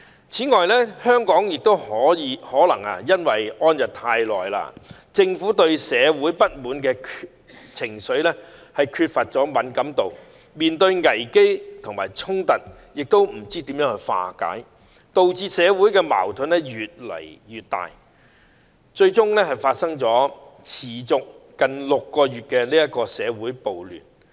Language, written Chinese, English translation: Cantonese, 此外，香港亦可能處於安逸一段長時間，政府對社會不滿的情緒缺乏敏感度，不知怎樣化解所面對的危機和衝突，導致社會矛盾越來越大，最終發生持續近6個月的社會暴亂。, The Government was not sensitive to the sentiments of dissatisfaction in society . It did not know how to resolve the crises and confrontations it faced . Social conflicts became more and more intense until the nearly six months of riots and social disorder finally broke out